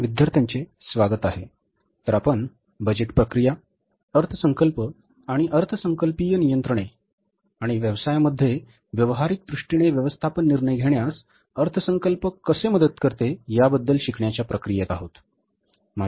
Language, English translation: Marathi, So, we are in the process of learning about the budgeting process, budget and budgetary controls and how the budgets help in the management decision making in the practical sense in the business organizations